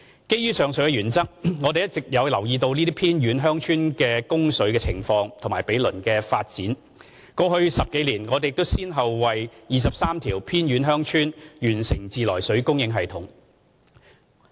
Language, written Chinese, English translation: Cantonese, 基於上述原則，我們一直有留意這些偏遠鄉村供水的情況及毗鄰地區的發展，過去10多年亦已先後為23條偏遠鄉村完成自來水供應系統。, In accordance with the above mentioned principles we have been monitoring the water supply situation of these remote villages and their nearby developments . Treated water supply systems had been completed for 23 remote villages over the past 10 years